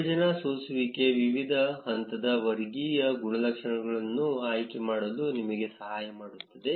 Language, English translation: Kannada, The partition filter can help you select the different levels of categorical attributes